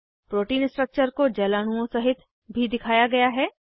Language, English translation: Hindi, The protein structure is also shown with water molecules